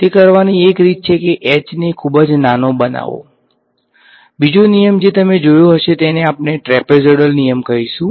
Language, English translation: Gujarati, Make h very very small right that is one way of doing it, the second rule which you would have seen would we call the trapezoidal rule